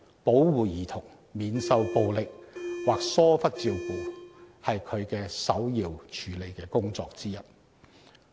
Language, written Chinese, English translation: Cantonese, 保護兒童免受暴力或疏忽照顧是該委員會首要處理的工作之一。, Protection of children against violence or neglect is one of the prime tasks of the Commission